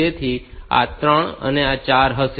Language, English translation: Gujarati, So, this will be 3 and 4